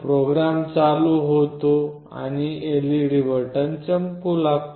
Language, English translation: Marathi, The program starts running and the LED starts blinking on the board